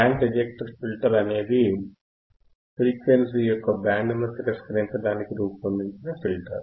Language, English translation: Telugu, Band reject filter is the filter that we can designed to reject the band of frequency